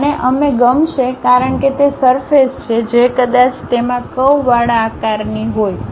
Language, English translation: Gujarati, And, we would like to because it is a surface it might be having a curved shape